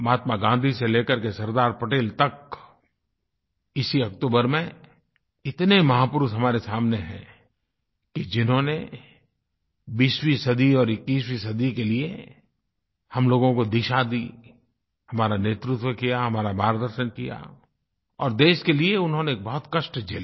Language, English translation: Hindi, From Mahatma Gandhi to Sardar Patel, there are many great leaders who gave us the direction towards the 20th and 21st century, led us, guided us and faced so many hardships for the country